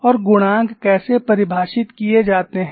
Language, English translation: Hindi, And how the coefficients are defined